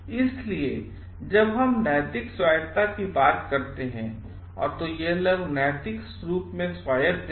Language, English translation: Hindi, So, when we are talking of moral autonomy, it is the people are morally autonomous